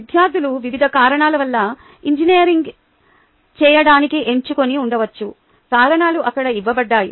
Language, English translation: Telugu, students may have chosen to do engineering for a variety of reasons